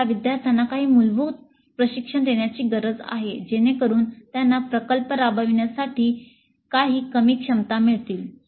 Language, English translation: Marathi, So we need to provide some basic training to the students so that they get some minimal competencies to carry out the project